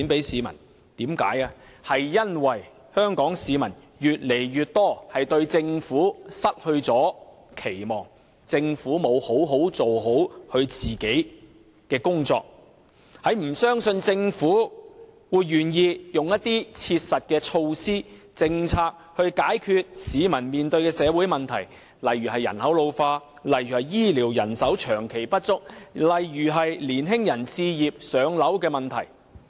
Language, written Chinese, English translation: Cantonese, 因為政府沒有做好自己的工作，令越來越多香港市民對它失去期望，不相信它願意推行一些切實的措施和政策，以解決市民面對的社會問題，例如人口老化、醫療人手長期不足、青年人置業等問題。, As the Government fails to do its part more and more Hong Kong people no longer have any expectations and they do not believe that the Government will put in place practical measures and policies to solve the social problems faced by members of the public such as an ageing population long - term shortage of medical manpower home purchase issues of young people etc